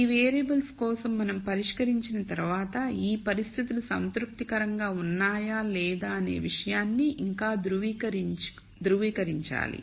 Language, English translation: Telugu, Once we solve for these variables we have to still verify whether this conditions are satisfy or not